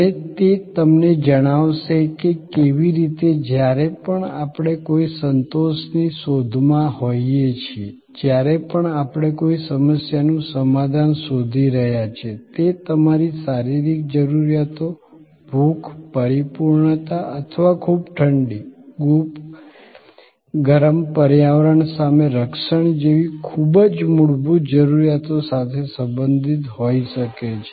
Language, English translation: Gujarati, And it will tell you how, whenever we are seeking any satisfaction, whenever we are seeking solution to any problem, it can be related to very basic needs like your physiological needs, hunger, fulfillment or the protection against the environment too cold, too hot